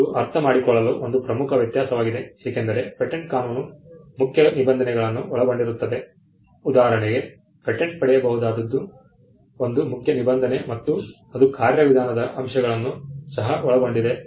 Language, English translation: Kannada, This is an important distinction to understand because patent law comprises of stuff substantive provisions for instance what can be patented is a substantive provision and it also comprises of procedural aspects